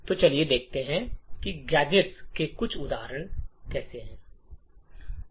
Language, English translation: Hindi, So, let us take a few examples of gadgets